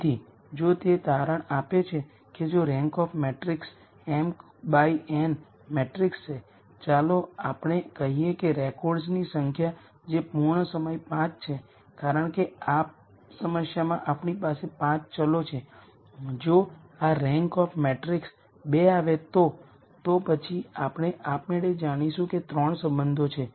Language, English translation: Gujarati, So, if it turns out that if the rank of this matrix m by n matrix, let us say whatever is the number of records that are complete times 5, because we have 5 variables in this problem, if the rank of this matrix turns out to be 2, then we automatically know that there are 3 relationships